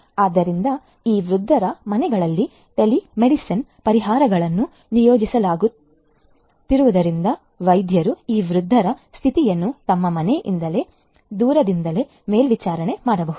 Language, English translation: Kannada, So, you can have you know telemedicine solutions being deployed being implemented in the homes of this elderly persons so that the doctors can remotely monitor the condition of this elderly people from their home